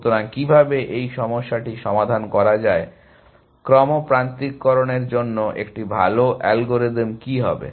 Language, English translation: Bengali, So, how does one solve this problem, what would be a good algorithm to do sequence alignment